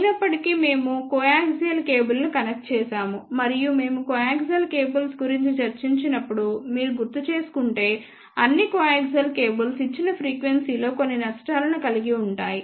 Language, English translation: Telugu, However, we had connected coaxial cable and if you recall when we discuss about coaxial cables all the coaxial cables have certain losses at the given frequency